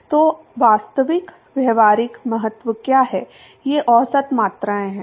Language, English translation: Hindi, So, what is of real practical importance are these average quantities